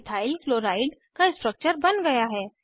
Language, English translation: Hindi, Structure of Ethyl chloride is drawn